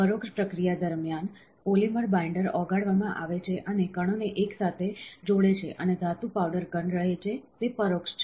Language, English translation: Gujarati, During indirect processing, the polymer binder is melted and binds the particle together and the metal powder remains solid, that is indirect